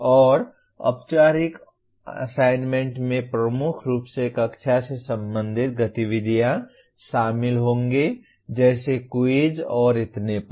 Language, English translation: Hindi, And formative assignment will include dominantly classroom related activities like quizzes and so on